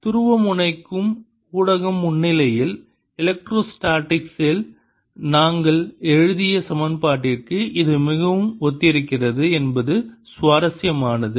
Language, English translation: Tamil, it's interesting that this is very similar to equation we wrote in electrostatics in presence of polarizable medium